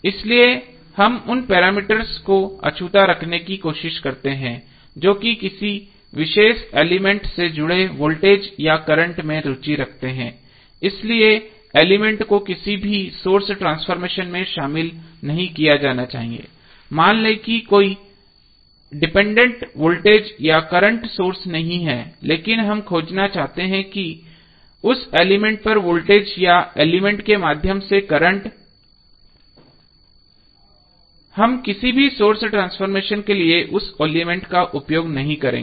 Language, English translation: Hindi, So, we try to keep those parameters untouched the voltage or current associated with the particular element is of interest that element should not be included in any source transformation so, suppose even if there is no dependent voltage or current source but, we want to find out the voltage across a element or current through that element, we will not use that element for any source transformation